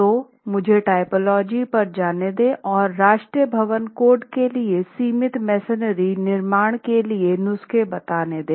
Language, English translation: Hindi, So, let me go over the typology and refer greatly to what the National Building Code has in terms of prescriptions for confined masonry construction